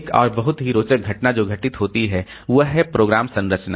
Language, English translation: Hindi, Another very interesting phenomena that occurs is with the program structure